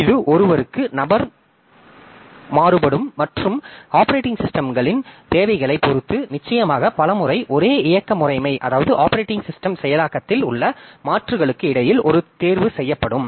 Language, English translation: Tamil, So, it varies from person to person and definitely depending upon the requirements of the operating systems many a time we have to do a choice between the alternatives within the same operating system implementation